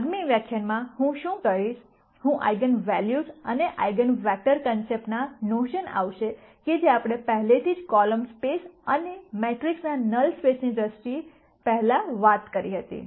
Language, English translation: Gujarati, In the next lecture what I will do is, I will connect this notion of eigenvalues and eigenvectors to things that we have already talked before in terms of column space and null space of matrices and so on